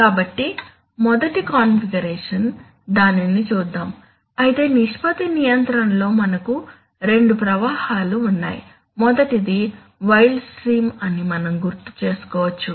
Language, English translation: Telugu, So the first one is configuration one, let us see that, so you see in ratio control we have two streams, the first one, we can recall the wild stream